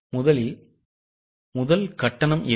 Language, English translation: Tamil, Now how much is the amount